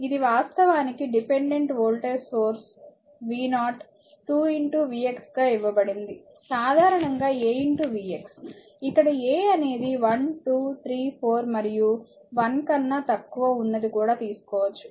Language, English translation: Telugu, This is this is actually your dependent voltage source v 0 is given 2 into v x is general you can take a into v x right a maybe 1 2 3 4 what is ever and below less than 1 also